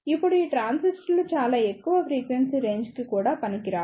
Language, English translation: Telugu, Now, these transistors are also not very suitable for very high frequency range